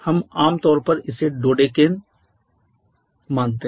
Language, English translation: Hindi, We commonly assume this one to be dodecane